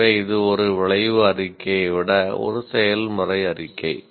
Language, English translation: Tamil, So, this is a process statement rather than an outcome statement